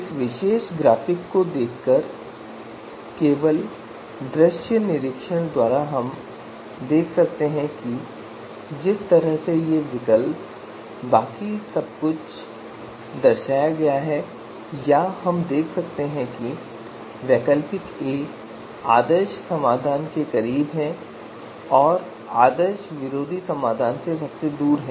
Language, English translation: Hindi, Just by looking at this particular graphic just by visual inspection you know we can see that the way these alternatives and everything else has been depicted or we can see that alternative A is closer to ideal solution and farthest from the anti ideal solution